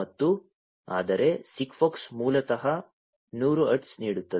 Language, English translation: Kannada, And whereas, SIGFOX basically gives 100 hertz